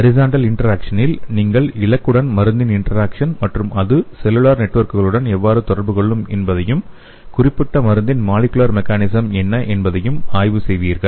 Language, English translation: Tamil, In the case of horizontal integration, you will studying the interaction of drug with the target and how it will be interacting with the cellular networks and also what is the molecular mechanism of the particular drug will be studied